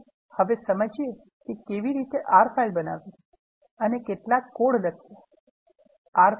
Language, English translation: Gujarati, Let us illustrate how to create an R file and write some code